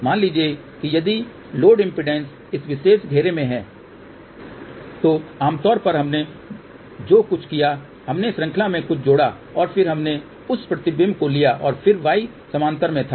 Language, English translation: Hindi, Suppose if the load impedance was in this particular circle generally what we did we added something in series and then we took that reflection and then y was in parallel